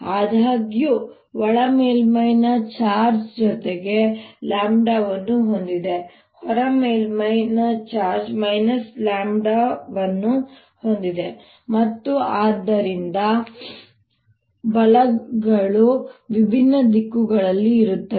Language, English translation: Kannada, however, the inner surface has charge plus lambda, the outer surface has charge minus lambda and therefore the forces are going to be in different directions